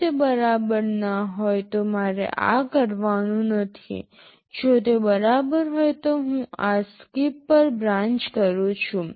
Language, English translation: Gujarati, If it is equal then I am not supposed to do this; if it is equal I am branching to this SKIP